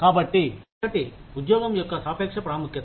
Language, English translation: Telugu, So, one is the relative importance of the job